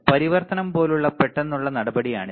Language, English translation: Malayalam, It is a sudden step like transition